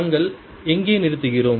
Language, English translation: Tamil, where do we stop